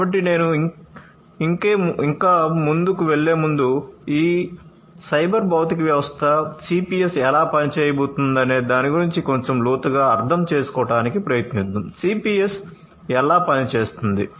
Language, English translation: Telugu, So, before I go any further, let us again try to understand in little bit of depth about how this cyber physical system, CPS is going to work right; how the CPS is going to work